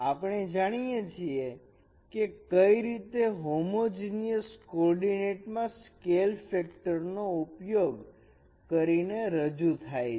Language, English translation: Gujarati, So there in the homogeneous coordinate we know how these coordinates are represented by using this scale factor